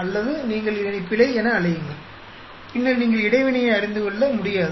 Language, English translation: Tamil, Or you call these error, then you cannot study the interaction